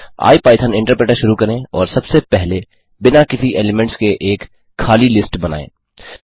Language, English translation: Hindi, Start the ipython interpreter and first create an empty list with no elements